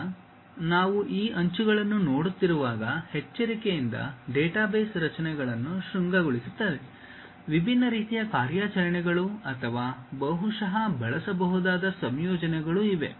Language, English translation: Kannada, Now, when we are looking at these edges, vertices careful database structures one has to construct; there are different kind of operations or perhaps combinations one can use